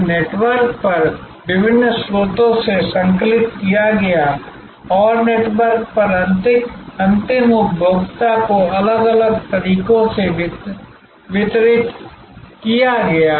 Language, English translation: Hindi, Compiled from different sources over a network and delivered in different ways to the end consumer over networks